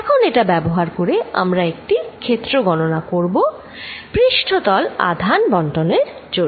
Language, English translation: Bengali, Now, we are going to use this fact to derive field due to a surface charge distribution